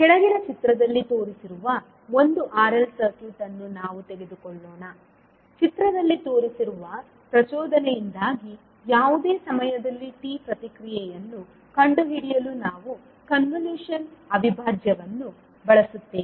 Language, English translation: Kannada, So let us take one r l circuit which is shown in the figure below, we will use the convolution integral to find the response I naught at anytime t due to the excitation shown in the figure